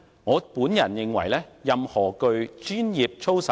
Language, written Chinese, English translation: Cantonese, 我們認為答案絕對是否定的。, To us the answer is definitely no